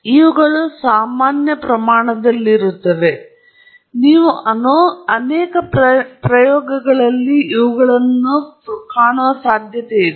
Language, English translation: Kannada, So, these are common quantities that you are likely to see in many experiments